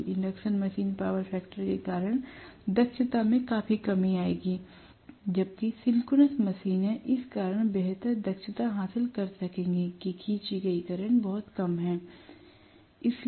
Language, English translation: Hindi, So induction machine will bring down the efficiency quite a bit because of the power factor considerations whereas synchronous machines will be able to have a better efficiency because of the fact that the current drawn itself is somewhat lower right